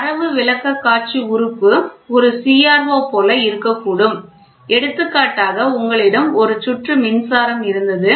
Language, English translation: Tamil, So, the Data Presentation Element can be like a CRO which is there for example, you had a circuit a power supply